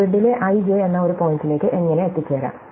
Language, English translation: Malayalam, How do I get to a point (i,j) on the grid